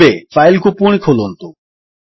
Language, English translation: Odia, Now lets re open the file